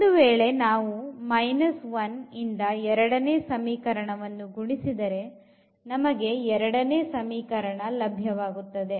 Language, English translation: Kannada, Here if you multiply by minus 1 to the second equation you will get the same equation